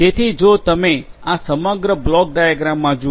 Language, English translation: Gujarati, So, if you look at this overall block diagram